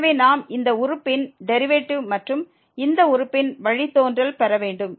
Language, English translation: Tamil, So, we have to get the derivative of this term and the derivative of this term